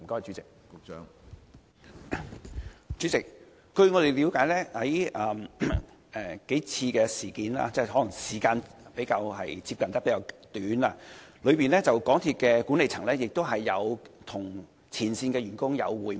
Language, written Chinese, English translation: Cantonese, 主席，據我們了解，在發生數次事故後，可能因為事故發生的時間相近，港鐵管理層曾與前線員工會面。, President we understand that the MTRCL management have already met with the frontline staff probably due to the short intervals between the several recent incidents